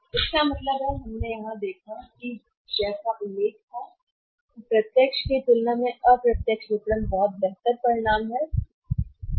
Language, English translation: Hindi, So, it means we have seen here that as it was expected there are much better results from the indirect marketing as compared to the direct marketing